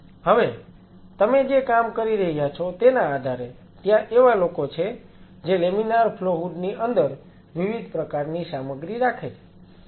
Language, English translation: Gujarati, Now, depending on the work you will be performing there are people who keep different kind of a stuff inside the laminar flow hood